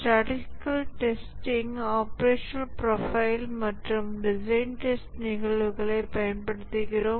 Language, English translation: Tamil, In statistical testing, we use the operational profile and design test cases